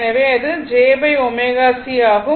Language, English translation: Tamil, So, it will be j by omega C